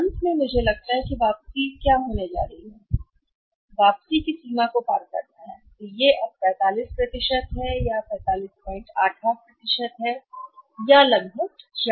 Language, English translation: Hindi, So, finally I think what is going to be return that the return is going to cross the limit now and this will be no 45% or 45